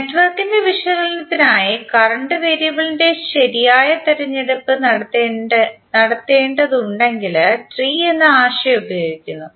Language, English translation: Malayalam, The concept of tree is used were we have to carry out the proper choice of current variable for the analysis of the network